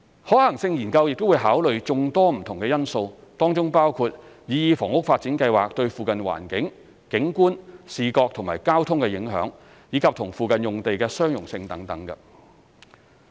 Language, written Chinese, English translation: Cantonese, 可行性研究會考慮眾多不同的因素，當中包括擬議房屋發展計劃對附近環境、景觀、視覺及交通的影響，以及與附近用地的相容性等。, Various factors will be taken into account in the Study including the impact on the surrounding environment landscape vision and traffic compatibility with nearby area etc